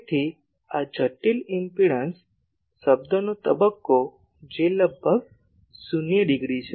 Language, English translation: Gujarati, So, phase of this complex impedance term that is almost 0 degree